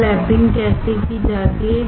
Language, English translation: Hindi, Or how lapping is done